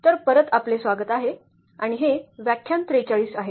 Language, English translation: Marathi, So, welcome back and this is lecture number 43